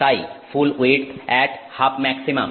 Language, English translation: Bengali, So, full width at half maximum